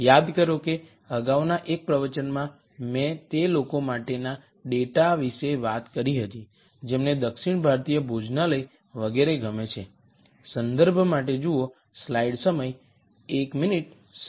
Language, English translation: Gujarati, Remember in one of the earlier lectures I talked about data for people who like south Indian restaurants and so on